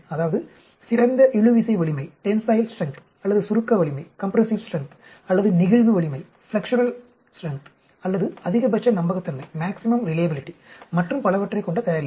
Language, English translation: Tamil, Product which will have the best, say, tensile strength or compressive strength or flexural strength or maximum reliability and so on